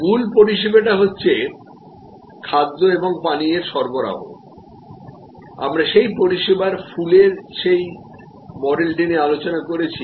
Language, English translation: Bengali, So, the core service is supply of food and beverage, we had discussed that model of flower of service